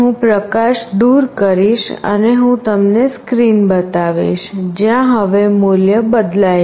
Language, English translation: Gujarati, I will take away the light and I will show you the screen, where the value changes now you see